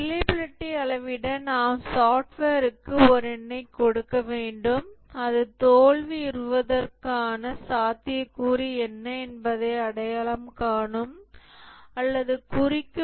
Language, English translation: Tamil, For reliability measurement, we need to give a number to the software that will identify or indicate its likelihood of failing